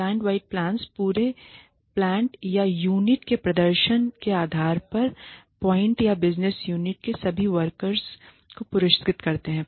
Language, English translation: Hindi, Plant wide plans reward all workers in a plant or business unit based on the performance of the entire plant or unit